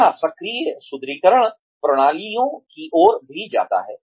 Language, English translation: Hindi, It also leads to active reinforcement systems